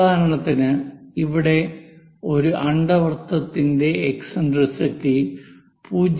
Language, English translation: Malayalam, For example, here an ellipse has an eccentricity 0